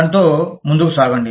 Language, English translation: Telugu, Let us get on with it